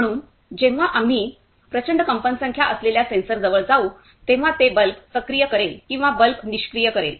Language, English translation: Marathi, So, whenever we go near the ultrasonic sensor, it will activate the bulb or it will deactivate the bulb